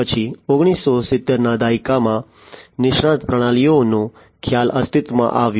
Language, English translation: Gujarati, Then you know in the 1970s the concept of expert systems came into being